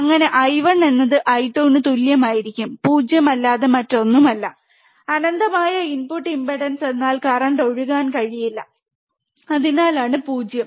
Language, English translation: Malayalam, Thus I 1 will be equal to I 2 equals to nothing but 0, infinite input impedance means current cannot flow, that is why it is 0